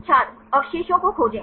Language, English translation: Hindi, find the residues